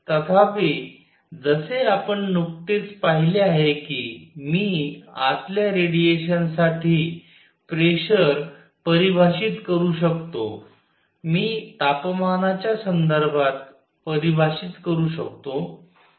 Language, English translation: Marathi, However, as you just seen that I can define pressure for radiation inside, I can define in terms of temperature